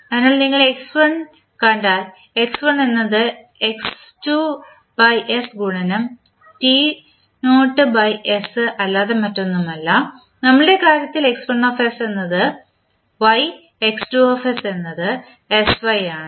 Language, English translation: Malayalam, So, because if you see x1, x1 is nothing but x2 by s into x1 t naught by s in our case x1s is y x2s is sy